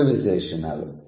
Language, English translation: Telugu, Both are adjectives